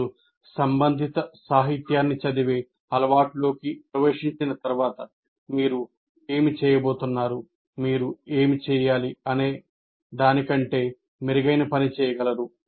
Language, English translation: Telugu, Once you get into the habit of reading, literature related to that, you will be able to do much better job of what you would be doing, what you need to do